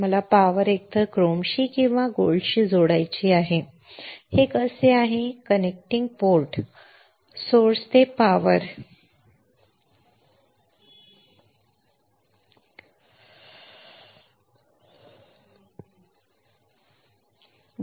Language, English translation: Marathi, I have to connect the power either to chrome or to gold that is how this is the connecting port connecting port for source to the power this is the power this